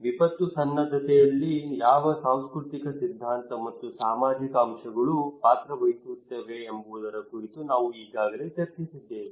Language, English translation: Kannada, We already had discussion on what cultural theory and social factors they play a role in disaster preparedness